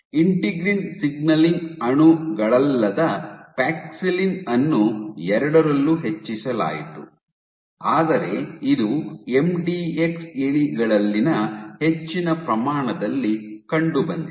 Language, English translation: Kannada, Paxillin which is not the integrin signaling molecules was also increased in both, but it was increased to much more to a much greater extent in MDX mice